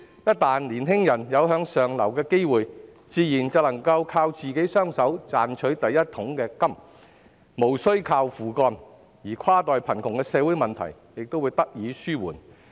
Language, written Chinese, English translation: Cantonese, 一旦年輕人有向上流的機會，自然能夠靠自己雙手賺取第一桶金，無須靠父幹，而跨代貧窮的社會問題亦得以紓緩。, As long as they have opportunities for upward mobility they can make their first fortune with their own hands without having to rely on their parents . The social problem of cross - generational poverty will also be alleviated